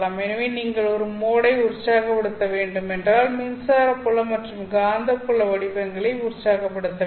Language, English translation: Tamil, So if you have to excite a mode, you have to excite the electric field and the magnetic field patterns out there